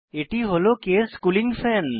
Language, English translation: Bengali, This is the case cooling fan